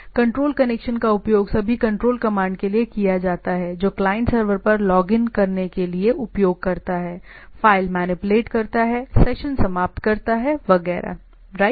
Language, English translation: Hindi, The control correction is used for all control commands a client server uses to log on to the server, manipulates file, terminates session, etcetera, right